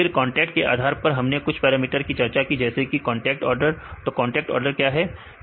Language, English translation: Hindi, Then based on the contact we discussed some of the parameters like contact order right, what is contact order